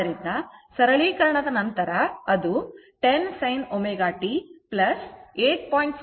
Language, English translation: Kannada, So, after simplification you will get it is 10 sin omega t plus 8